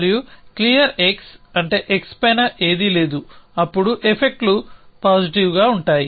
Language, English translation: Telugu, And clear x which means nothing is on top of x essentially then the effects positive are holding